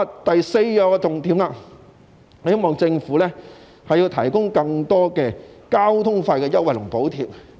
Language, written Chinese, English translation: Cantonese, 第四個重點是希望政府提供更多交通費優惠和補貼。, The fourth key point is that I hope to see more transport fare concessions and subsidies offered by the Government